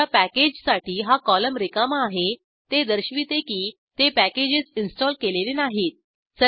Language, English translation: Marathi, The packages for which this column is blank indicates that these packages are not installed